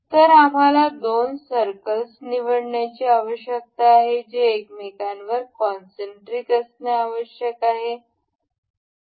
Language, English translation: Marathi, So, the two we need to pick up two circles that need to be concentric over each other